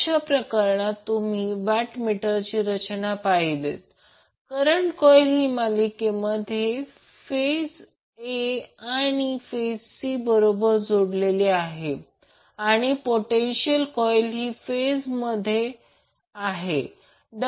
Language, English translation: Marathi, In this case if you see the arrangement of watt meters the current coil is connected in series with the phase a and phase c